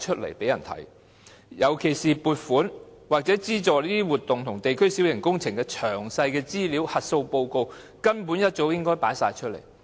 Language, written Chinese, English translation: Cantonese, 在區議會方面，尤其是撥款或資助這些活動和地區小型工程的詳細資料和核數報告，根本早應公開。, Information of the DCs especially details and audit reports of funding or subsidies for these activities and district minor works projects should have been disclosed long ago